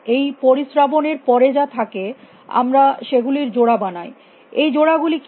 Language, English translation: Bengali, Whatever remains after this filtering we make pairs what is the pairs